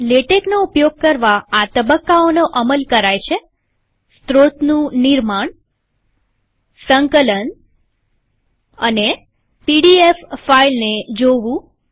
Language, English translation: Gujarati, To use latex, one should go through these phases: creation of source, compilation and viewing the pdf file